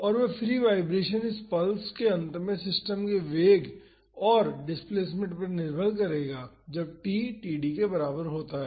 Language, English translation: Hindi, And, that free vibration will depend on the velocity and displacement of the system at the end of this pulse that is when t is equal to td